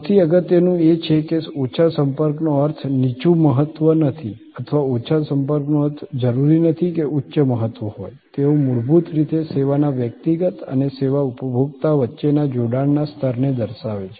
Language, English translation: Gujarati, So, most important is that low contact does not mean low importance or high contact does not necessarily mean high importance, they are basically signifying the level of engagement between the service personal and this service consumer